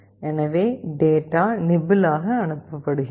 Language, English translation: Tamil, So, data are sent as nibbles